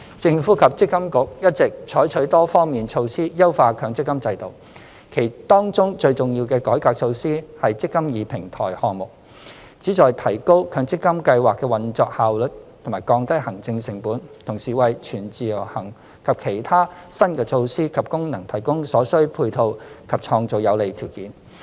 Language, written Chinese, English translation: Cantonese, 政府及積金局一直採取多方面措施優化強積金制度，當中最重要的改革措施是"積金易"平台項目，旨在提高強積金計劃的運作效率及降低行政成本，同時為"全自由行"及其他新的措施及功能提供所需配套及創造有利條件。, The Government and MPFA have implemented multi - faceted initiatives to enhance the MPF system with the most important initiative being the eMPF Platform Project . The eMPF Platform will enhance operational efficiency and reduce administration costs of the MPF system . It will also provide support and create favourable conditions for the implementation of full - portability and other new initiatives and functions